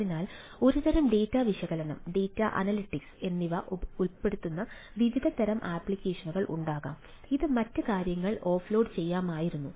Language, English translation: Malayalam, so there can be lot of ah type of applications which involves some sort of a data analysis, data analytics which could uh, which could have been offloaded, other things